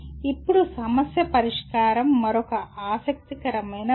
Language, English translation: Telugu, Now problem solving is another interesting one